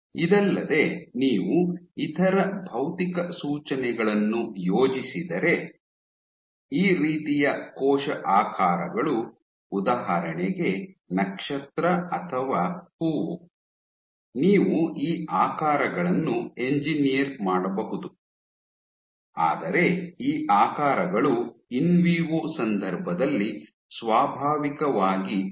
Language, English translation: Kannada, In adhesion to this if you think of the other physical cues, this kind of cell shapes for example star or flower you can engineer these shapes, but these shapes do not naturally occur inside out in vivo context